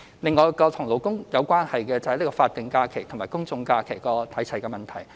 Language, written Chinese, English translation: Cantonese, 另外，與勞工有關的是法定假日與公眾假期日數看齊的問題。, Another labour - related issue is the alignment of statutory holidays with general holidays